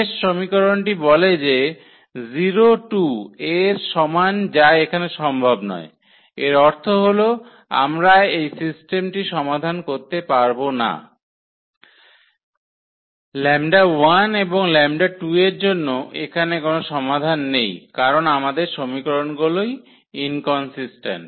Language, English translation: Bengali, The last equation says that 0 is equal to 2 which is not possible which is not possible here; that means, we cannot solve this system we cannot solve this system for 4 lambda 1 and lambda 2 there is no solution because our equations are inconsistent